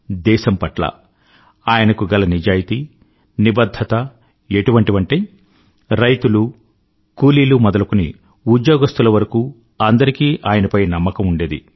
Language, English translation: Telugu, Such was his sense of honesty & commitment that the farmer, the worker right up to the industrialist trusted him with full faith